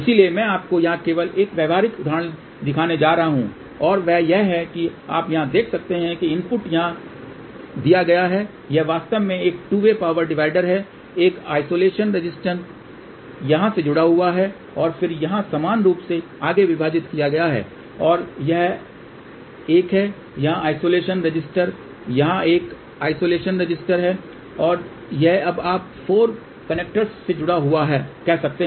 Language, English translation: Hindi, So, I am just going to show you one practical example here and that is you can see here, input is given over here this is actually a 2 way power divider there is a isolation resistance is connected over here and then this one over here is divided equally further and there is a isolation resistance here there is a isolation resistance over here and this is now you can say connected to the 4 connectors